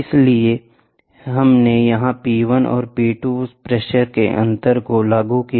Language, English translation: Hindi, So, we use pressures are applied here P 1 P 2 differential pressure